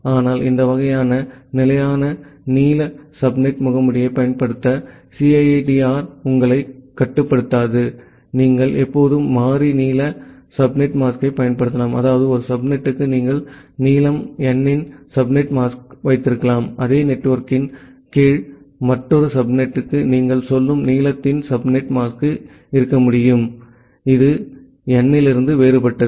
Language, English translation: Tamil, But, CIDR does not restrict you to use this kind of fixed length subnet mask, you can always use variable length subnet mask that means, for one subnet, you can have subnet mask of length n, for another subnet under the same network, you can have subnet mask of say length m, which is different from n